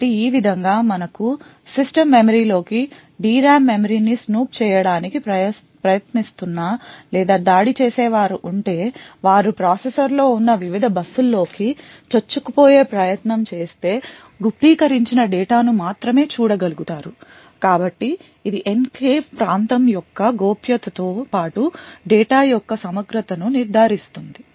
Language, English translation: Telugu, So this way if we have an attacker who is trying to snoop into the system memory the D RAM memory for instance or try to snoop into the various buses present in the processor then the attacker would only be able to view the encrypted data so this ensures confidentiality of the enclave region as well as integrity of the data